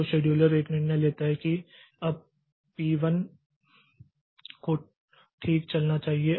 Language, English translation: Hindi, So in the and the scheduler takes a decision that now P1 should run